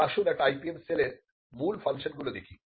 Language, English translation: Bengali, Now let us look at the core functions of an IPM cell